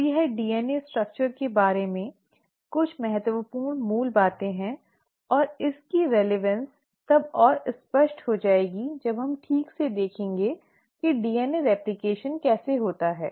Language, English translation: Hindi, Now this is some of the important basics about DNA structure and the relevance of this will become more apparent when we start looking at exactly how DNA replication happens